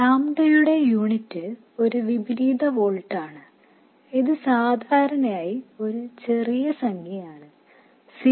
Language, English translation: Malayalam, And the units of lambda are in inverse volts and this is typically a small number, let's say something like 0